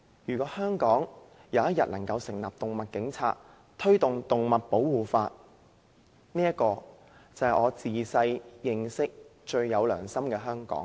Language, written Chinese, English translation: Cantonese, 如果香港有一天能夠成立"動物警察"，推動動物保護法，這便是我自小認識、最有良心的香港。, Only if Hong Kong establishes animal police and presses ahead with the enactment of an animal protection law will I say that this is the most conscience - driven Hong Kong that I have known since I was a kid